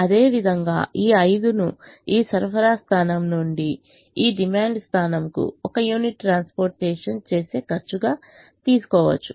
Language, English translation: Telugu, similarly, this, this five can be taken as the cost of transporting one unit from this supply point to this demand point